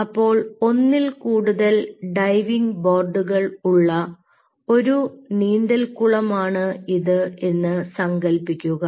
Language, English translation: Malayalam, so now imagine this as ah swimming pool with multiple diving board boards like this